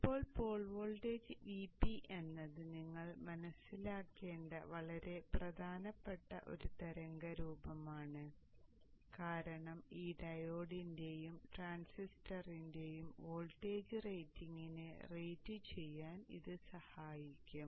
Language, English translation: Malayalam, Now the port voltage VP is a very important waveform that you should understand because it will help in the rating both voltage rating of both this diode and the transistor